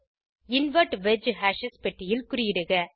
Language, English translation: Tamil, Click on Invert wedge hashes checkbox